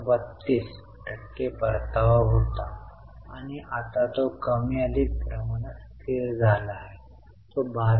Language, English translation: Marathi, So, PAT32% was the return and now it has more or less stagnant, it has become 12